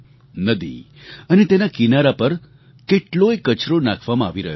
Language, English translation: Gujarati, A lot of garbage was being dumped into the river and along its banks